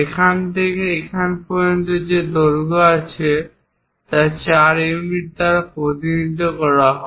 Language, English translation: Bengali, From here to here whatever length is there that's represented by 4 units